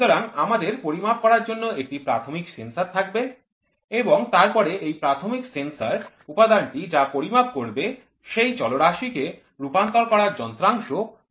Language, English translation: Bengali, So, we will have a primary sensor to measure and then this primary sensor element whatever is there it then it is sent to a Variable Conversion Element